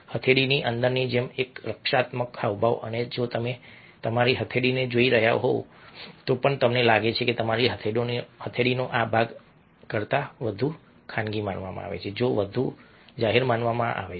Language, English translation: Gujarati, and even if you are looking at your palm, you find that this part of your palm is considered more private than this part, which is considered more public